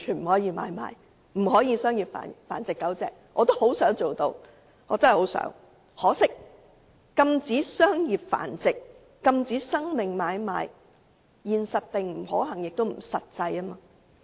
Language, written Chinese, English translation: Cantonese, 我真的十分希望能夠做得到，只可惜禁止商業繁殖、禁止生命買賣，現實並不可行，也不實際。, But unfortunately the mission to ban the breeding of animals for commercial purpose and the trading of life is neither realistic nor viable